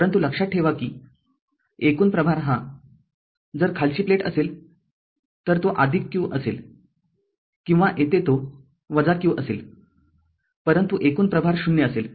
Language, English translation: Marathi, But remember that total charge will be either, if the bottom plate, this will be plus q or here it will be minus q, but total will be 0